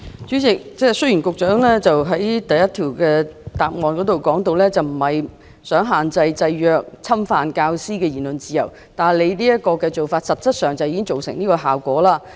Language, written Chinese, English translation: Cantonese, 主席，雖然局長在主體答覆第一部分提到，他並非想限制、制約或侵犯教師的言論自由，但他現時的做法實際上已造成這樣的效果。, President although the Secretary mentioned in part 1 of the main reply that he did not intend to restrict limit or infringe upon teachers freedom of speech his present practice has practically produced such an effect